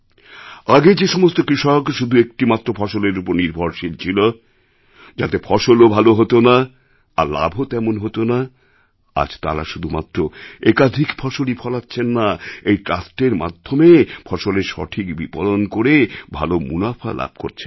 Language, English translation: Bengali, The farmers who initially used to depend on the same single cash crop in their fields and that too the yield was also not good begetting lesser profits, today are not only growing vegetables but also marketing their own vegetables and getting good prices through the trust